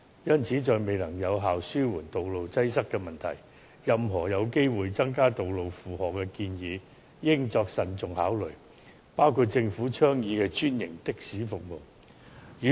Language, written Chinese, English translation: Cantonese, 因此，在未能有效地紓緩道路擠塞的問題前，任何有機會增加道路負荷的建議，均應慎重考慮，包括政府倡議的專營的士服務。, Therefore before the problem of traffic congestion can be effectively eased any proposals leading to chances of increasing the burden on road traffic including the franchised taxi service advocated by the Government should warrant prudent consideration